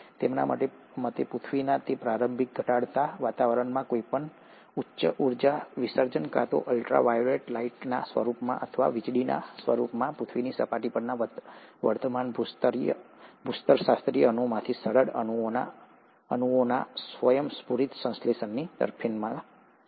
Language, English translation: Gujarati, According to them, in that initial reducing environment of the earth, any high energy discharge, either in the form of ultra violet lights, or in the form of lightning would have favoured spontaneous synthesis of simple molecules from existing geological molecules on earth’s surface